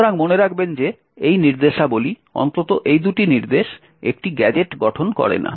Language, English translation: Bengali, So, note that these instructions atleast these two instructions do not form a gadget